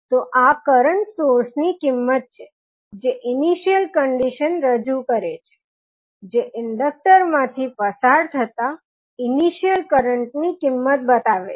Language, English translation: Gujarati, So, this will the value of a current source that will represent the initial condition that is initial current flowing through the inductor